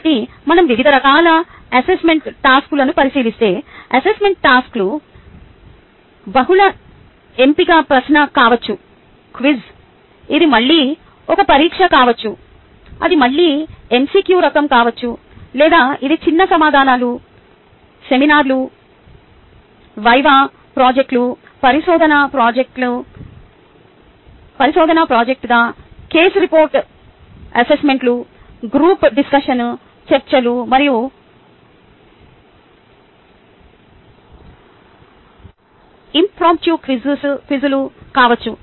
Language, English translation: Telugu, so if we look into the various types of assessment task, the assessment tasks could either be a multiple choice question quiz, it could be an exam, which could be again either mcq type, or it could be short answers, seminars, viva projects, which could be a research project or a case report, assignments, group discussion, debates and impromptu q quizzes